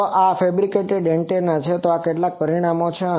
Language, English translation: Gujarati, So, this is the fabricated antenna, these are some results